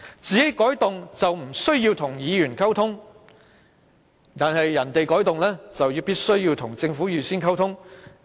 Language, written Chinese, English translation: Cantonese, 政府調動議程不用與議員溝通，議員要求作出調動卻必須與政府預先溝通。, While the Government needs not communicate with Members for rearranging the order of agenda items Members have to communicate with the Government for rearranging the order of agenda items